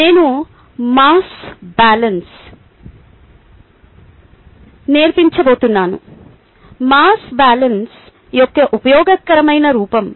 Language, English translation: Telugu, i am going to teach mass balance, ah, useful form of the mass balance